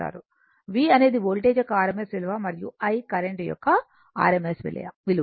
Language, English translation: Telugu, V is the rms value of the voltage and I is the rms value of the current